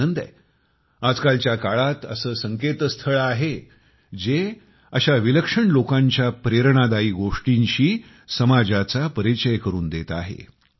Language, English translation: Marathi, I am glad to observe that these days, there are many websites apprising us of inspiring life stories of such remarkable gems